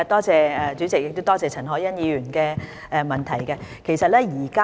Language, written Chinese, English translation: Cantonese, 主席，多謝陳凱欣議員的補充質詢。, President I thank Ms CHAN Hoi - yan for her supplementary question